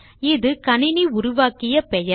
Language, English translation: Tamil, That is the system generated name